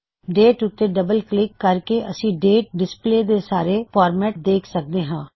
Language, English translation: Punjabi, Double clicking on the date shows all the possible formats in which the date can be displayed